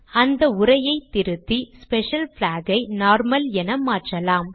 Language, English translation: Tamil, Let me edit the text, change the Special Flag to normal